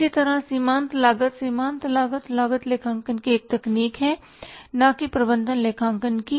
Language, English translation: Hindi, Similarly marginal costing, marginal costing is a part of is a technique of the cost accounting not of the management accounting